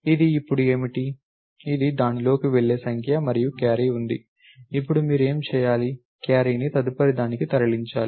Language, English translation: Telugu, So, what is this now, this is the number that goes into that and there is a carry, now what should you do, go to propagate the carry